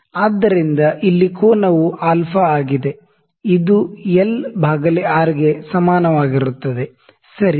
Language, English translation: Kannada, So, here the angle is alpha, this alpha is equal to l by R, ok